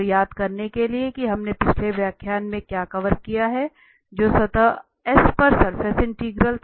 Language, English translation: Hindi, So, just to recall what we have covered in the last lecture that was the surface integral of g on over this s over the surface S